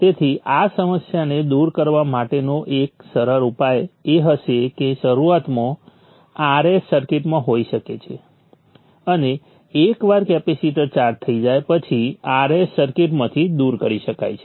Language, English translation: Gujarati, So a simple solution to overcome this problem would be initially R S can be the circuit and once the capacitor has built up charge R S can be removed from the circuit